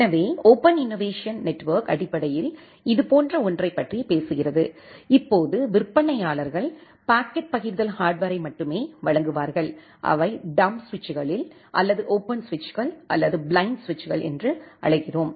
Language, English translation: Tamil, So, the open innovation network basically talks about something like this, now, the vendors will only supply the packet forwarding hardware, which at the dumb switches or we call it as the open switches or blind switches